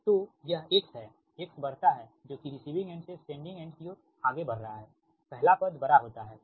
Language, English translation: Hindi, that means when you are moving from receiving end to sending end, x is increasing